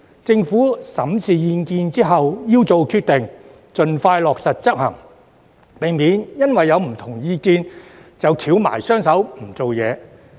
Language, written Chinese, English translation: Cantonese, 政府在審視意見後要做決定，盡快落實執行，避免因為有不同意見便"翹埋雙手"不作為。, After examining the opinions the Government should make decisions and implement them as soon as possible instead of sitting on its hands and doing nothing because of the divergent views